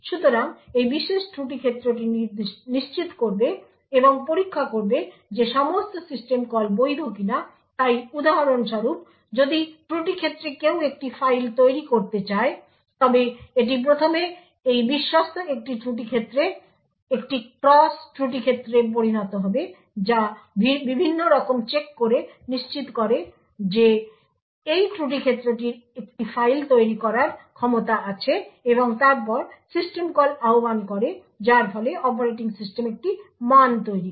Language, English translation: Bengali, So this particular fault domain would ensure and check whether all system calls are valid so for example if fault domain one wants to create a file it would first result in a cross fault domain to this trusted a fault domain which makes various checks ensures that fault domain has the capability of creating a file and then invokes the system call that would result in the operating system creating a value